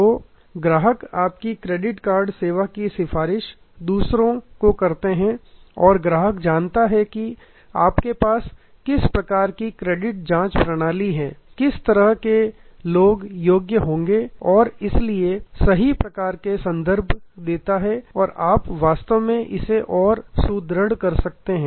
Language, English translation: Hindi, So, the customer recommends your credit card service to others and the customer knows what kind of credit check system that you have, what kind of people will qualify and therefore, the right kind of references and you can actually further reinforce it